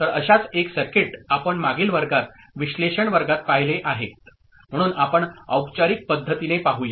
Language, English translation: Marathi, So, one such circuit we have seen in the analysis class, in the previous class, but let us look at a formalized method